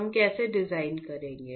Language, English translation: Hindi, How we will design